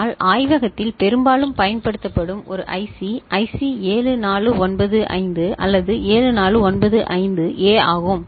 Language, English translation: Tamil, But one IC that often is used in the lab is IC 7495 or 7495A